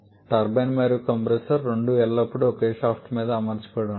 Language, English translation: Telugu, Both turbine and compressor are always mounted on the same shaft